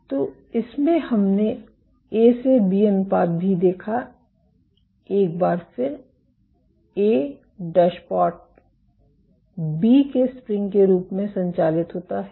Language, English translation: Hindi, So, in this what we observed also A to B ratio, once again a operates as A dashpot B operates as the spring and lamin A